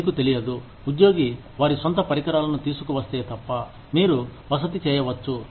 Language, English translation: Telugu, You cannot, you know, unless the employee, brings their own equipment, you can make accommodation